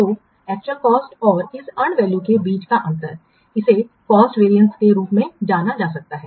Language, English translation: Hindi, So, the difference between the actual cost and this and value, this can be known as cost variance